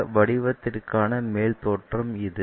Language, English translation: Tamil, This is the top view for some shape